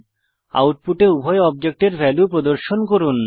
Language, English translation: Bengali, Display the values for both the objects in the output